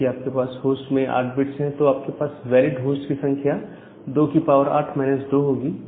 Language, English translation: Hindi, So, because you have 8 bits in host, so the number of valid address is 2 to the power 8 minus 2